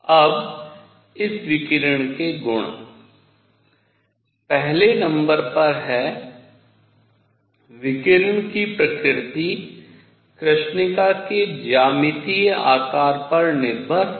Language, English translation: Hindi, Now the properties of this radiation is number one the nature of radiation does not depend on the geometric shape of the body